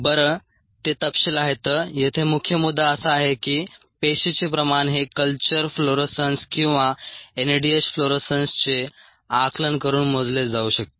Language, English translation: Marathi, the main points here is that the cell concentration can be measured by following the culture fluorescence or the NADH fluorescence